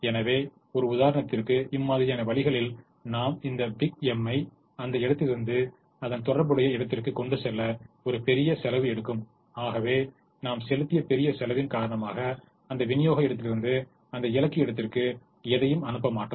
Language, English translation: Tamil, so one of the ways to model is to put a big m, a large cost of transporting from that place to the corresponding destination, so that because of the large cost that we have put in, we will not send anything from that supply point to that destination point